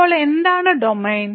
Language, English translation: Malayalam, So, what is the Domain